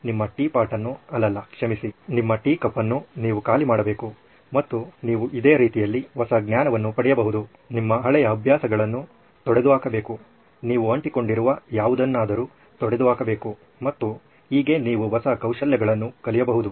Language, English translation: Kannada, You have to throw away empty your tea pot your tea cup sorry tea cup and that is the way you can get new knowledge, get rid of your old habits, get rid of your whatever you are clinging onto and that is how you learn new skills